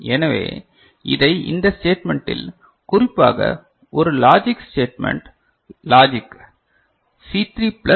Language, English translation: Tamil, So, we can write it, this particular in this statement, in the form of a logic statement logic C3 plus this is C2 prime C1 is it fine ok